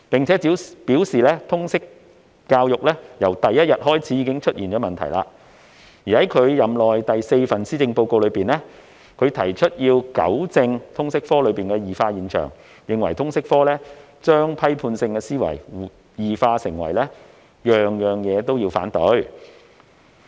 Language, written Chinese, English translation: Cantonese, 她又表示通識教育由第一天起已出現問題，而在其任內第四份施政報告中，她提出要糾正通識科的異化現象，並認為通識科將批判性思維異化為事事反對。, She also said that problems with LS had arisen since day one . In the fourth Policy Address in her term of office she proposed to rectify the deviation from the objectives of the subject and reckoned that LS had turned critical thinking into indiscriminate opposition